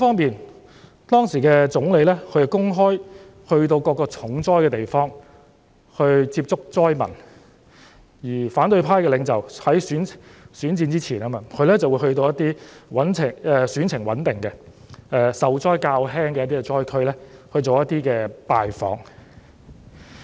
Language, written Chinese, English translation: Cantonese, 另一方面，當時的總理前往各個重災區公開地接觸災民，而由於是選戰前，反對派領袖則前往一些選情穩定、受災較輕的災區進行拜訪。, On the other hand the then Premier visited various areas hard hit by the disaster and openly met with the people there and as it was before the election leaders of the opposition camp also paid visits to the less affected places where the support for their electioneering was stable